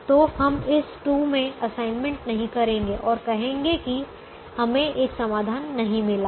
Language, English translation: Hindi, so we will not make an assignment in this two and say that we have got a solution